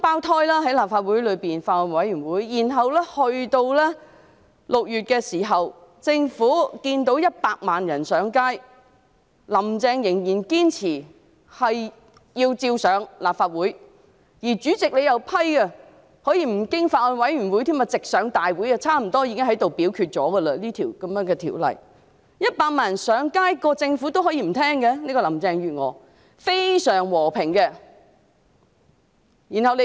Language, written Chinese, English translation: Cantonese, 由立法會的法案委員會鬧雙胞胎起，然後政府在6月眼見100萬人上街，但"林鄭"仍然堅持把《條例草案》提交立法會，而主席又批准可以不經法案委員會審議，直接在大會上恢復二讀辯論，這項《條例草案》幾乎已經在大會上表決了。, Since two Bills Committees on the Bill were formed in the Legislative Council and then the Government saw a million people take to the streets in June but Carrie LAM still insisted on presenting the Bill to the Legislative Council whereas the President also approved the resumption of the Second Reading debate on the Bill at a Council meeting directly without scrutiny by a bills committee and a vote on the Bill was almost taken at a Council meeting